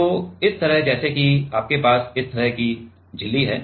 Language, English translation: Hindi, So, this like this let us say you have this kind of membrane